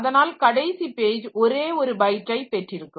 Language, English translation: Tamil, The last page will have only one byte filled up